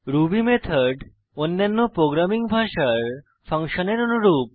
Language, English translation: Bengali, Ruby method is very similar to functions in any other programming language